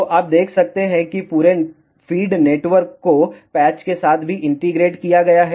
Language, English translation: Hindi, So, you can see that the entire feed network is also integrated along with the patches